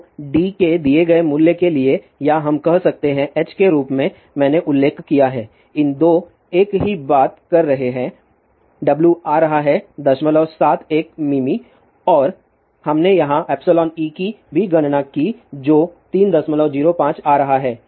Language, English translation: Hindi, So, for the given value of d or we can say h as I mentioned, these 2 are same thing w is coming out to be point seven one mm and we have also calculated epsilon e here which is coming out to be 3